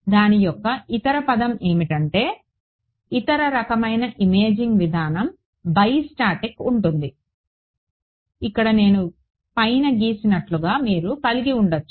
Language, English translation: Telugu, The other term for it is I mean the other kind of imaging modality is bi static where you can have like I drew above over here